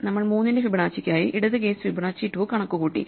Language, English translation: Malayalam, So, we have computed for Fibonacci of 3, the left case Fibonacci of 2